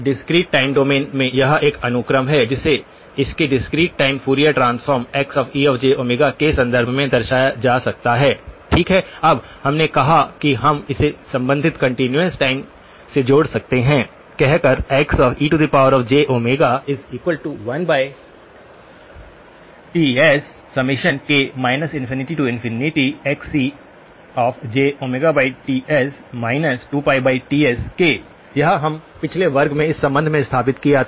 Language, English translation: Hindi, In the discrete time domain, it is a sequence x of n which can be represented in terms of its discrete time Fourier transform X e of j omega, okay, now we said that this is the we can link it to the corresponding continuous time by saying this is equal to 1 over Ts summation k equal to minus infinity to infinity Xc of j omega by Ts minus 2pi by Ts into k, this was we established this linkage in the last class